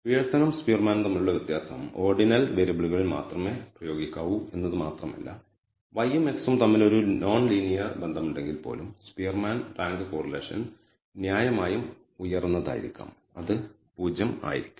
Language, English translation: Malayalam, The difference is between Pearson’s and Spearman is not only can it be applied to ordinal variables even if there is a non linear relationship between y and x the spearman rank correlation can be high it will not likely to be 0, it will have a reasonably high value